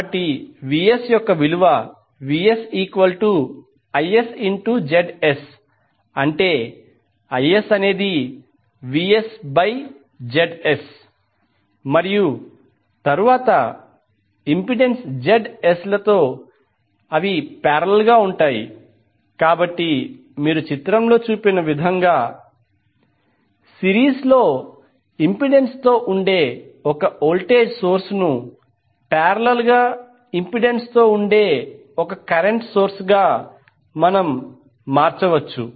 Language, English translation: Telugu, Equally, it can be represented as Is where Is is nothing but Vs upon Zs and then in parallel with impedance Zs, So you can transform the voltage source in series with impedance to a current source in parallel with impedance as shown in the figure